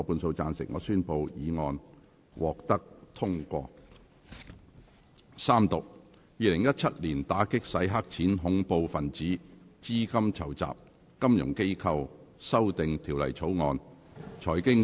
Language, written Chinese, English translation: Cantonese, 主席，我動議《2017年打擊洗錢及恐怖分子資金籌集條例草案》予以三讀並通過。, President I move that the Anti - Money Laundering and Counter - Terrorist Financing Amendment Bill 2017 be read the Third time and do pass